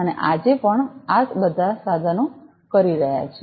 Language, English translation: Gujarati, And whatever this all this instruments are doing